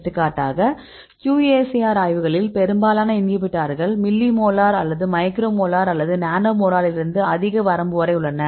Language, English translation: Tamil, For example in the QSAR studies, most of the inhibitor constants right they range from mlili molar or micro molar or nano molar in this case we the wide range